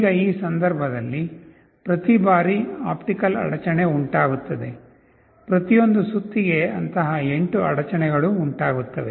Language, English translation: Kannada, Now in this case, every time there is an optical interruption … for one revolution, there will be 8 such interruptions